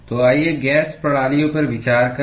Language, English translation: Hindi, So, let us consider gas systems